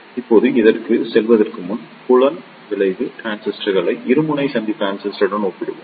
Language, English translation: Tamil, Now, before going into these, the let us compare the field effect transistors with the bipolar junction transistor